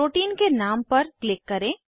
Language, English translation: Hindi, Click on the name of the protein